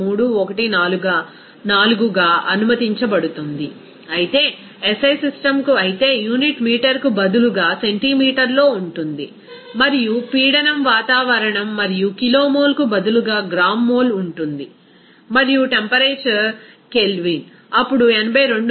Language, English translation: Telugu, 314, whereas for SI system but the unit is in centimeter instead of meter and pressure is atmosphere and also there will be gram mol instead of kilomole and temperature is Kelvin, then it will be 82